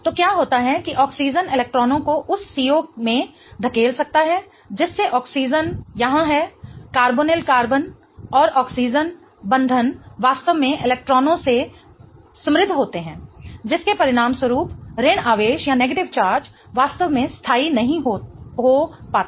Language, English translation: Hindi, So, what happens is that the oxygen can push electrons into that C double bondo making that oxygen here the carbonyl carbon and oxygen bond really rich in electrons as a result of which the negative charge really doesn't get stabilized